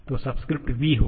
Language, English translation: Hindi, So, subscript will be small v